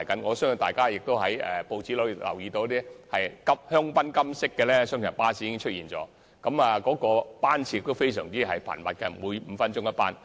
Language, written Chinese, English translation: Cantonese, 我相信大家從報章可看到，香檳金色的雙層巴士會投入服務，而且班次非常頻密，每5分鐘一班。, I believe Members have read in the newspaper that the champagne gold double - decker will commence service soon . It will provide high frequency service operating at a five - minute interval